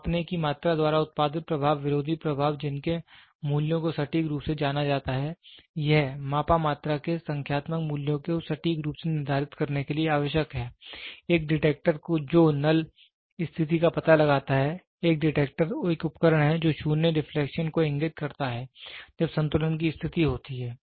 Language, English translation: Hindi, The effect produced by the measuring quantity the opposing effects whose values are accurately known, it is necessary for measuring of for determining the numerical values of the measured quantity accurately, a detector which detects the null condition; that is a detector is the device which indicates 0 deflection when the balance condition is occurred